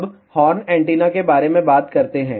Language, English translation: Hindi, Now, let us talk about horn antennas